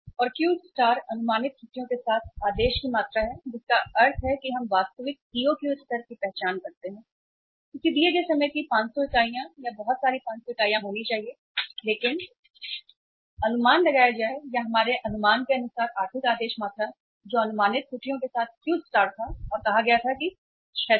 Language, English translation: Hindi, And Q star is the order quantity with estimated errors means we identify actual EOQ level should have been say 500 units of a given period of time or a lot of the 500 units but be estimated or as per our estimate the economic order quantity which came of was Q star with the estimated errors and that was say 600